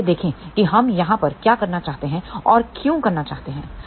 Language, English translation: Hindi, So, let us see what we want to do over here and why we want to do it